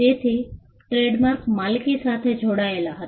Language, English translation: Gujarati, So, trademarks were tied to ownership